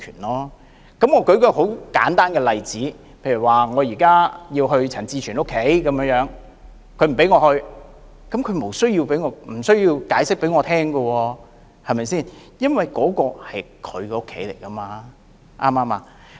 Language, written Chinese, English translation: Cantonese, 我舉一個很簡單的例子，例如我想去陳志全議員家裏，但他不讓我去，他無須向我解釋，因為那是他的家，對嗎？, Let me give a very simple example . I would like to go to Mr CHAN Chi - chuens house but he would not let me in . He did not have to give me an explanation because it is his house right?